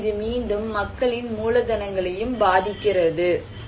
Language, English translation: Tamil, So, what is and that again actually affects people's capitals and vulnerability